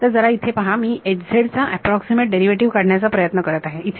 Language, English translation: Marathi, So, look over here I am trying to find out approximate H z derivative over here